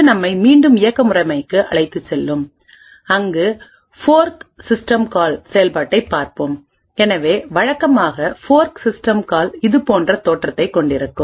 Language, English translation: Tamil, This would take us back to the operating system where we would look at the execution of something of the fork system call, so typical fork system called as you must be quite aware of would look something like this